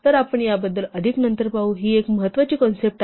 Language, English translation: Marathi, So, we will see more about this later, this is a fairly important concept